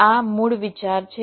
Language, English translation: Gujarati, this is the basic idea